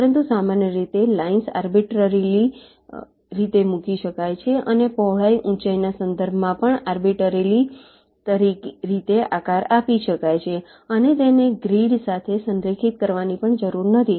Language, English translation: Gujarati, but in general, the lines can be arbitrarily placed and also arbitrarily shaped in terms of the width, the heights, and also need not be aligned to the grids